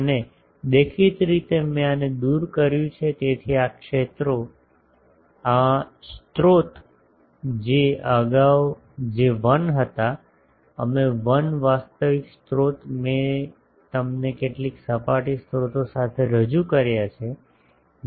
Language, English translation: Gujarati, And obviously, since I have removed these so the fields this sources which was earlier J1, M1 actual sources I have represent them with some surface sources Js, Ms here